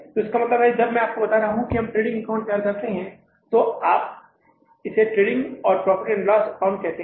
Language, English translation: Hindi, So it means when I was telling you we are preparing a trading account, we call it as trading and profit and loss account